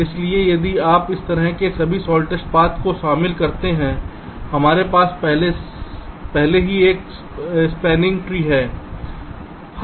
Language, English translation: Hindi, so if you include all the shortest path, like this: already we have found out a spanning tree